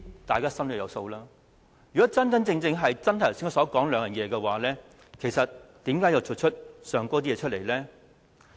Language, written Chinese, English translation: Cantonese, 大家心中有數，如果真的一如我剛才所說，是善用時間和為市民謀福祉，又怎會做出上述的行為呢？, Well we all know the answers . Just as what I have told just now how would they have done those things mentioned above if they really mean to make good use of the Councils time as well as work for the good and general welfare of the Hong Kong people?